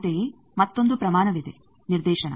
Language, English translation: Kannada, Similarly, there is another quantity directivity